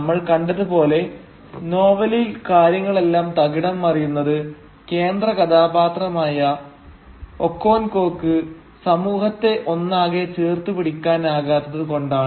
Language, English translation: Malayalam, And as we have seen things fall apart in the novel, primarily because the central figure, who is Okonkwo, he cannot hold the community together